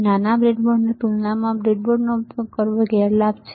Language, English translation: Gujarati, Disadvantage of using a breadboard compared to the smaller breadboard